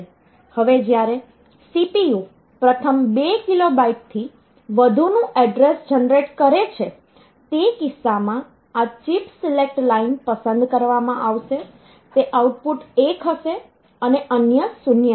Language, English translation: Gujarati, Now, when the address when the CPU generates an address beyond first 2 kilobyte the next it is in the range of the second 2 kilo byte region in that case this chip select line will get selected they it will be output will be 1 and the others will be 0